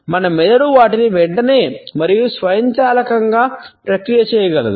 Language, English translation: Telugu, Our brain is capable of processing them almost immediately and automatically